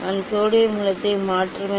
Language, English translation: Tamil, I will replace the sodium source